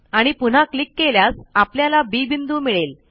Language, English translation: Marathi, And then click again we get point B